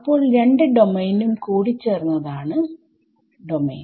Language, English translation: Malayalam, So, domain is the union of both total domain